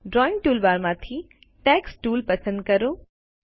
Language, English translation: Gujarati, From the Drawing toolbar, select the Text Tool